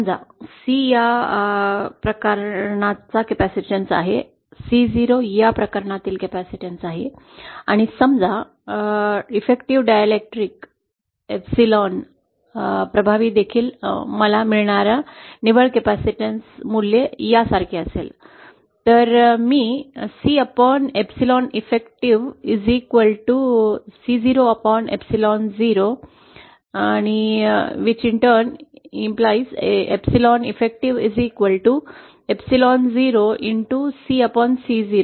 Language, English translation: Marathi, Now suppose C is the capacitance for this case, C 0 is the capacitance for this case and suppose with the effective dielectric constant epsilon effective also the net capacitance value that I obtain is like this, then I can write C upon epsilon effective is equal to C 0 upon epsilon zero, from which I can write epsilon effective is equal to epsilon 0 C upon C 0